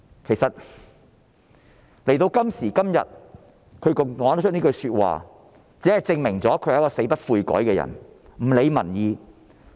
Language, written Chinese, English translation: Cantonese, 其實，她在今時今日還說出這些話，只能證明她是一個死不悔改、不理民意的人。, In fact what she says nowadays only proves that she is such a stubborn person who just turns a deaf ear to public opinion